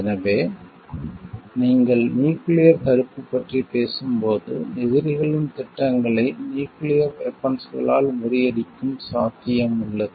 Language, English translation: Tamil, So, it is like when you are talking of nuclear deterrence it is the possibility of thwarting an enemy s plans with nuclear weapons